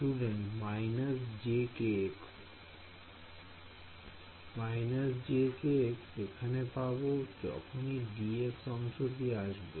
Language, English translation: Bengali, Minus j k x will come out from here wherever there is d x part